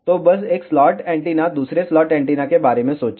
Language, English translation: Hindi, So, just think about 1 slot antenna another slot antenna